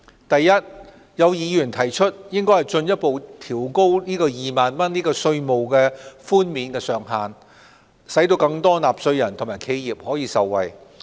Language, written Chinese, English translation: Cantonese, 第一，有議員提出應進一步調高2萬元的稅務寬免上限，使更多納稅人和企業受惠。, First some Members suggested that the 20,000 tax reduction ceiling be further increased to benefit more taxpayers and enterprises